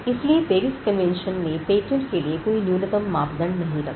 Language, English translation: Hindi, So, the PARIS convention did not set any minimum standard for patents